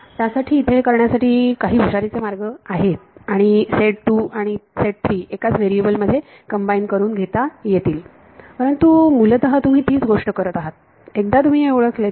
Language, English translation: Marathi, There are there are ways of being clever about it and combining set 2 and set 3 into one variable itself, but basically you are doing the same thing once you identify this